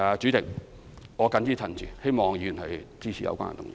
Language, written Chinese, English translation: Cantonese, 主席，我謹此陳辭，希望議員支持有關議案。, With these remarks President I hope that Members will support this motion